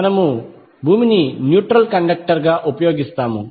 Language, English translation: Telugu, We use earth as a neutral conductor